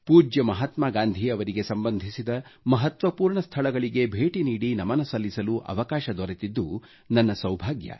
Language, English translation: Kannada, I have been extremely fortunate to have been blessed with the opportunity to visit a number of significant places associated with revered Mahatma Gandhi and pay my homage